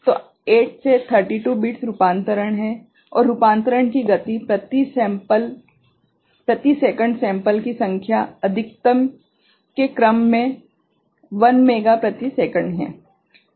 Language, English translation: Hindi, So, 8 to 32 bits conversion is there and the speed of conversion the number of sample per second is in the order of maximum is 1 mega sample per second